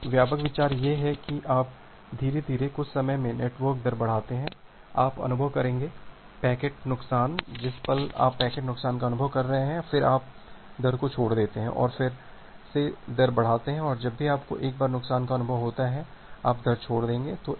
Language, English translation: Hindi, So, the broad idea is that you gradually increase the network rate at some time, you will experience, the packet loss the moment you are experience the loss, then you drop the rate and again increase the rate and again whenever you’ll get a loss, you will drop the rate